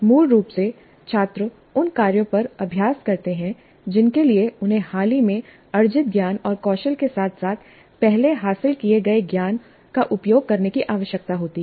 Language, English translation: Hindi, So basically students practice on tasks that require them to use recently acquired knowledge and skills as well as those acquired earlier